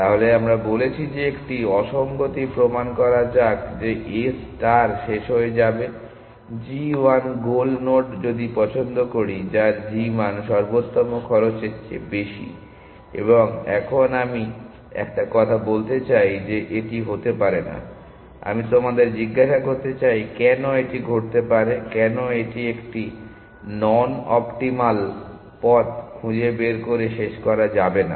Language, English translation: Bengali, So, we are saying that let proof a contradiction that a star terminate with a by picking a goal node g 1, whose g value is more than the optimal cost, and now I want to make a statement that this cannot happen let me ask you, why can this happen, why can it not terminate by a finding a non optimal path